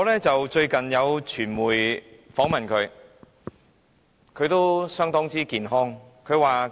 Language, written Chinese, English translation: Cantonese, 最近有傳媒訪問盧少蘭婆婆，她相當健康。, Recently the old lady LO Siu - lan who is still in good health was interviewed by the media